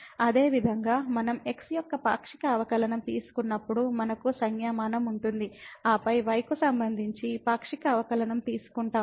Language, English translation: Telugu, Similarly, we have the notation when we take the partial derivative of and then we are taking the partial derivative with respect to